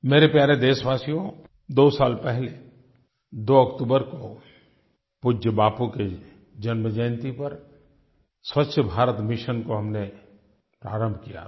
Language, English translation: Hindi, My dear countrymen, we had launched 'Swachha Bharat Mission' two years ago on 2nd October, the birth anniversary of our revered Bapu